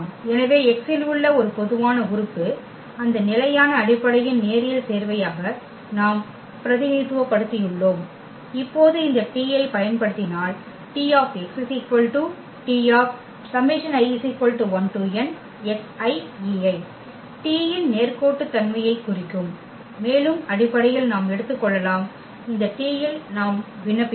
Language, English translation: Tamil, So, this x which is a general element in R n we have represented as a linear combination of that those standard basis and now if we apply this T, the linearity of T will implies that T x T of x will be the T of this here the summation and basically we can take we can apply on this T i’s